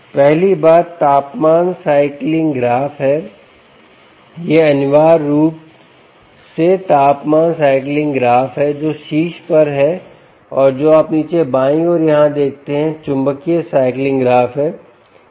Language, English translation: Hindi, this is, ah, essentially the temperature cycling graph which is on top and what you see bottom here, on the left side